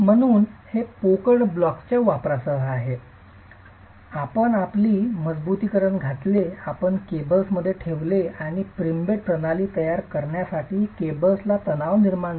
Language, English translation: Marathi, So, this is again with the use of hollow blocks, you put in your reinforced, you put in the cables and the cables are tensioned to create the pre stressed system itself